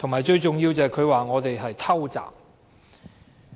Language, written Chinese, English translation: Cantonese, 最重要的是，她說我們"偷襲"。, Most importantly she used the wording surprise attack